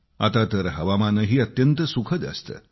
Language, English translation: Marathi, The weather too these days is pleasant